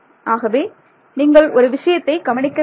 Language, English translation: Tamil, So, notice one thing over here